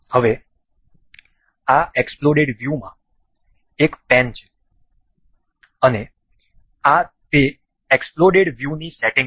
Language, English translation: Gujarati, Now, this exploded view have a pane, and these are the settings for that the exploded view